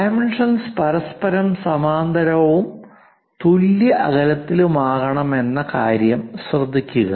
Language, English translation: Malayalam, Note that the dimension lines are parallel to each other and equally spaced